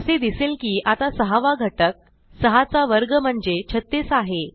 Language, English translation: Marathi, We see the sixth element is now square of 6, which is 36